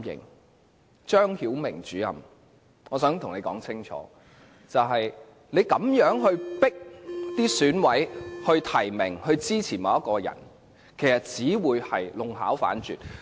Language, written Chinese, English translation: Cantonese, 我想對張曉明主任說清楚，他這樣迫使選委提名和支持某人，其實只會弄巧反拙。, Let me tell Director ZHANG Xiaoming pressing EC members to nominate and support a certain particular candidate may have undesirable results